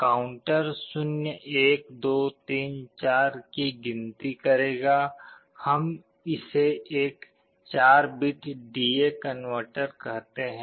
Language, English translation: Hindi, The counter will be counting up as 0, 1, 2, 3, 4 like that, let us say this is a 4 bit DA converter